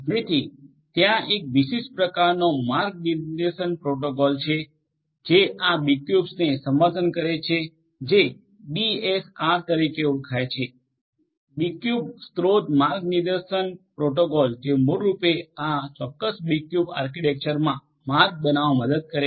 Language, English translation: Gujarati, So, there is a specific type of routing protocol that is that supports these B cubes which is known as the BSR the B cube source routing protocol which basically helps in routing in this particular B cube architecture